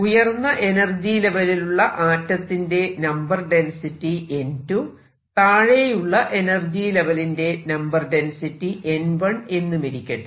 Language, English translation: Malayalam, Let the density of atoms in the upper level be n 2, density of atoms in the lower level be n 1